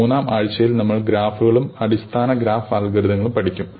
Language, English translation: Malayalam, In the third week, we will introduce graphs and look at basic graph algorithms